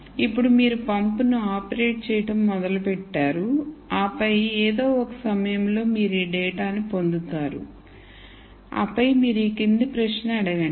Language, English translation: Telugu, Now you start operating the pump and then at some point you get this data and then you ask the following question